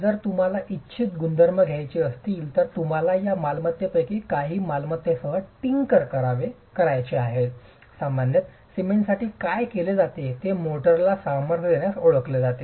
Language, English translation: Marathi, And what is typically done in case you want to have desirable properties, you want to tinker with some of these properties, what's normally done is cement is known to provide strength to motor